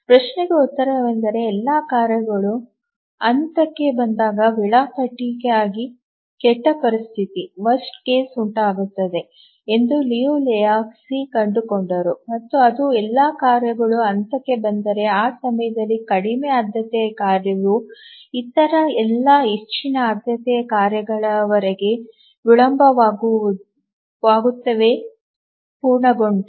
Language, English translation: Kannada, The answer to that question is that Liu Lehuzki found that the worst case condition for schedulability occurs when all the tasks arrive in phase and that is the time if all tasks arrive in phase then the lowest priority task will get delayed until all other higher priority tasks complete